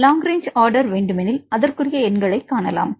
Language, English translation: Tamil, If you see the long range order you can see the numbers